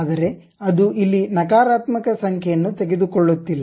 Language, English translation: Kannada, So, here it is not taking a negative number